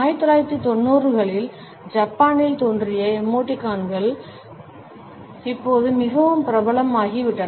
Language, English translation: Tamil, Emoticons originated in Japan in 1990s and have become very popular now